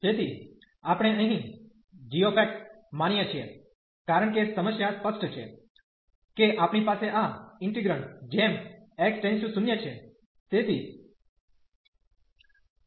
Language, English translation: Gujarati, So, we consider here g x, because the problem is clear we have in this integrand as x approaching to 0